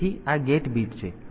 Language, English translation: Gujarati, So, this gate bit